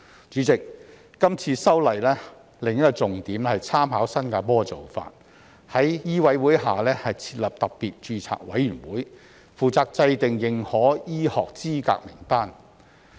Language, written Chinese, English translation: Cantonese, 主席，今次修例的另一個重點是參考新加坡的做法，在香港醫務委員會下設立特別註冊委員會，負責制訂認可醫學資格名單。, President another key point of this amendment exercise is to refer to the practice of Singapore and establish an SRC under the Medical Council of Hong Kong to draw up a list of recognized medical qualifications